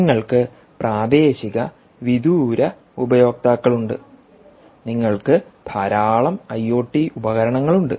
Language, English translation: Malayalam, you have remote users, you have local users here, you have a lot of i o t devices